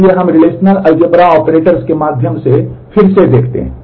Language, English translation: Hindi, So, we look through the relational algebra operators again